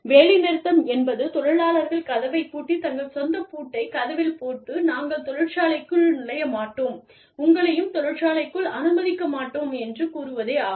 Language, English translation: Tamil, A strike means, that things, you know, the employees may just lock the door, and put their own lock on the door, and say, we will not enter the factory, and we will not let you, enter the factory